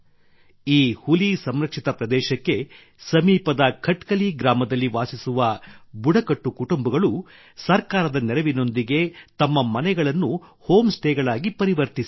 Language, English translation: Kannada, Tribal families living in Khatkali village near this Tiger Reserve have converted their houses into home stays with the help of the government